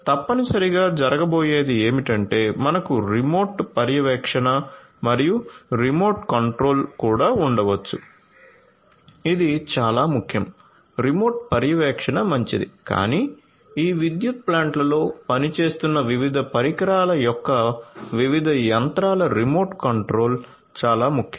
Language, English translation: Telugu, So, essentially what is going to happen is, we can also have remote monitoring and remote control this is very very important remote monitoring is fine, but remote control of the different machinery of the different equipments that are working in these power plants